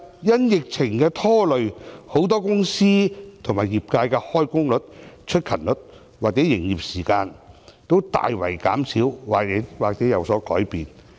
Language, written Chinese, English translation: Cantonese, 因疫情的拖累，很多公司和業界的開工率、出勤率或營業時間均大幅減少或有所改變。, Owing to the epidemic the employment rate attendance rate or business operation hours of many companies and industries have been greatly reduced or changed